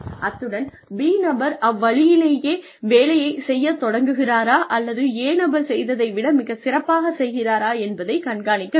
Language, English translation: Tamil, And, how will person B start performing, exactly in the same manner, or in a better, more efficient manner, than person A